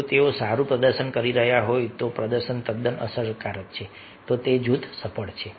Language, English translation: Gujarati, if they are performing good, if the, the performance is quite effective, then group is successful